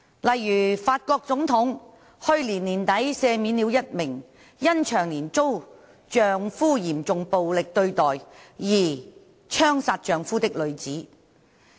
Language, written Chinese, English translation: Cantonese, 例如，法國總統去年年底赦免了一名因長年遭丈夫嚴重暴力對待而槍殺丈夫的女子。, For example at the end of last year the French President pardoned a woman who had shot her husband to death because she had been subject to years of serious and physical abuse by her husband